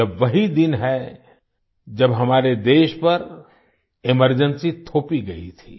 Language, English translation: Hindi, This is the very day when Emergency was imposed on our country